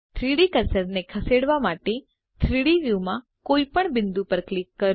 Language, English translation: Gujarati, Click on any point in the 3D view to move the 3D cursor